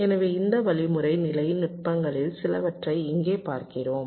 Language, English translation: Tamil, so we look at some of these algorithmic level techniques here